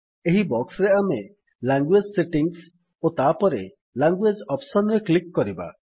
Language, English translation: Odia, In this box, we will click on Language Settings and then Languages option